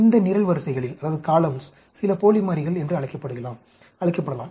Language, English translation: Tamil, Some of these columns can be called dummy variables